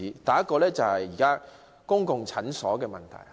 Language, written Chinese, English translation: Cantonese, 第一個例子有關公共診所。, The first example is about public clinics